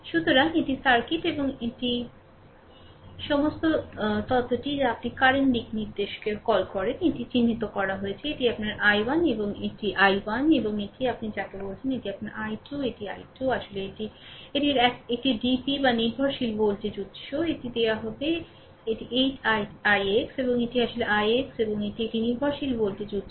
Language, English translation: Bengali, So, this is the circuit and all the all the theory what you call current directions are marked, this is your i 1 this is i 1, right and this is your what you call this is your i 2, this this is i 2 actually it is a its a DP or dependent ah voltage source, it is given it is 8 i x and this is actually i x and this is a dependent voltage source